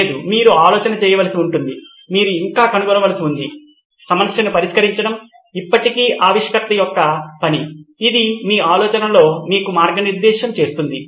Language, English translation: Telugu, No, you shall have to do the thinking, you still have to do the finding, it still the inventor’s job to solve the problem, this guides you in your thinking